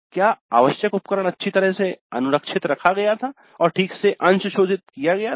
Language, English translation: Hindi, The required equipment was well maintained and calibrated properly